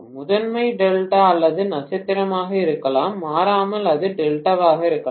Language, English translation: Tamil, Primary can be delta or star, invariably it may be delta